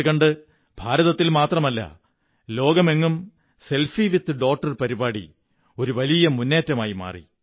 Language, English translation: Malayalam, In no time, "Selfie with Daughter" became a big campaign not only in India but across the whole world